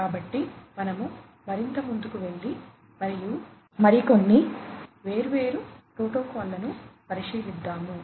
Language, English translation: Telugu, So, we will go further and we will have a look at few other different protocols